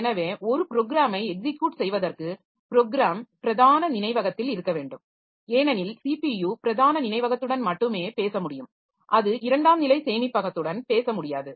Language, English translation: Tamil, So, for executing a program the program must be in the main memory because CPU can talk only to the main memory